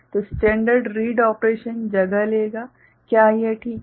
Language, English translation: Hindi, So, standard read operation that would take place, is it fine